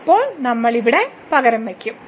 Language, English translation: Malayalam, Now we will substitute here